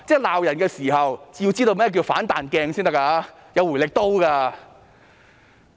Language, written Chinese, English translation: Cantonese, 罵人的時候，要知道甚麼是"反彈鏡"、"回力刀"。, When you are lashing out at others you should know that a mirror reflects and a boomerang backfires